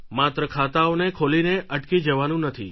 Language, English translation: Gujarati, One just does not have to open account and get stuck